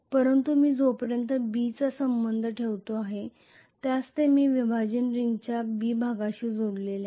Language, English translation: Marathi, But I am going to have essentially as far as B is concerned I am going to have B is connected to B portion of the split ring